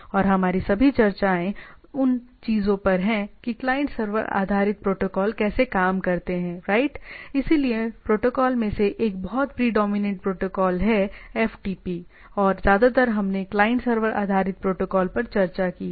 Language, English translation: Hindi, And all of our discussion what you are working on like most of the protocols are client server based as of now right, so one of the protocol very predominant protocol is the FTP we are mostly used to that